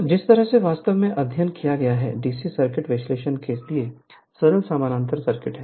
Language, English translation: Hindi, So, the way you have studied, your simple parallel circuit for DC circuit analysis